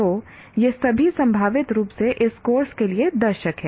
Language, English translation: Hindi, So, all these are potentially the audience for this particular course